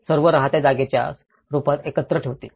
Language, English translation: Marathi, All will put together in a form of a lived space